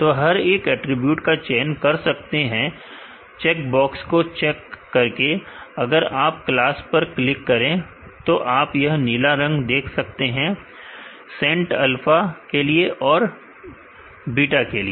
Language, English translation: Hindi, So, each attribute can be selected by checking here the checkbox, if you click on the class, you could see that blue, the sent for alpha and let for beta